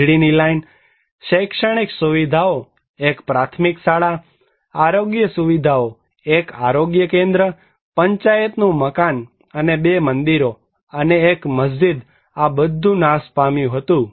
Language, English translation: Gujarati, The electricity line, educational facilities, one primary school, health facilities, one health centre, Panchayat building and two temples and one mosque were all destroyed